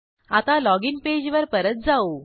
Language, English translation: Marathi, Now, let us come back to our login page